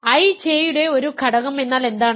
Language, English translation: Malayalam, What is an element of I J